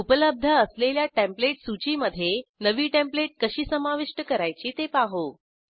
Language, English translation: Marathi, Now lets learn to add a New template to the existing Template list